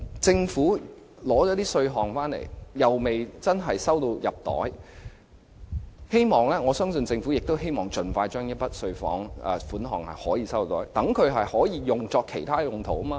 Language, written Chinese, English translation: Cantonese, 政府徵收了稅款，又未能正式入帳，我相信政府亦希望盡快解決這問題，以便將稅款作其他用途。, Now that the Government has levied the stamp duty but the money cannot be credited to its account I think the Government also wishes to resolve this problem as soon as possible so that the money can be at its own disposal